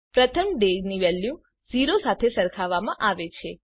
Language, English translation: Gujarati, First the value of day is compared with 0